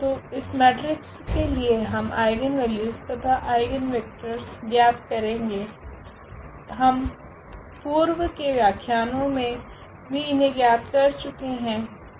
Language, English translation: Hindi, So, for this eigen, for this matrix we will compute the eigenvalue and eigenvectors we have already computed for several matrices in the last lecture